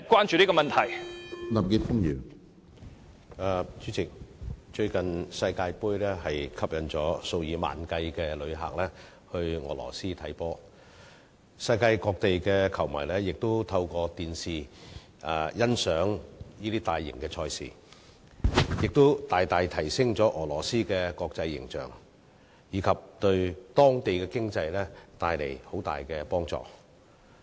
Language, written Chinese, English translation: Cantonese, 主席，最近世界盃吸引了數以萬計的旅客到俄羅斯觀看球賽，世界各地的球迷亦透過電視欣賞大型賽事，大大提升了俄羅斯的國際形象，並對當地的經濟帶來莫大的幫助。, President with ten thousands of visitors being recently attracted by the FIFA World Cup to watch soccer matches in Russia and soccer fans all over the world watching matches of this mega event through television the international image of Russia was enormously enhanced and its economy was also greatly boosted